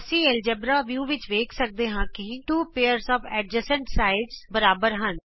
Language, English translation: Punjabi, We can see from the Algebra View that 2 pairs of adjacent sides are equal